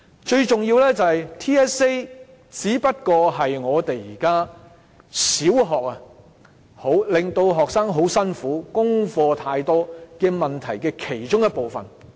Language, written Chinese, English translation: Cantonese, 最重要的是 ，TSA 只是現在小學學生感到很辛苦、功課太多的問題的其中一部分。, Most importantly TSA is only part of the cause to the exhaustion that primary school students feel or the excessive homework they have